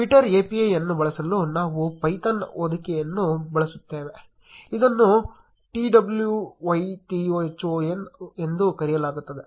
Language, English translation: Kannada, To use twitter API we will be using a python wrapper, which is called Twython